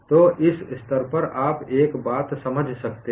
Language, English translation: Hindi, So, at this stage, you can understand one thing